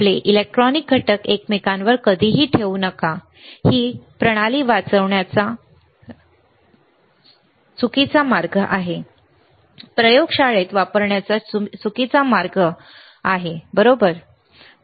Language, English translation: Marathi, Never place your electronic components one over each other; this is a wrong way of operating the system, wrong way of using in the laboratory, right